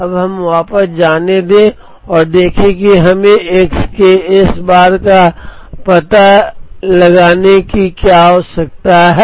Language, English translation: Hindi, Now, let us go back and see what we require to find out S bar of x